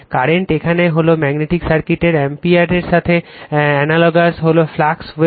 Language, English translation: Bengali, Current here is I ampere in magnetic circuit in analogous is phi flux Weber